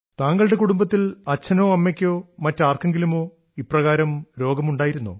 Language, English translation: Malayalam, In your family, earlier did your father or mother have such a thing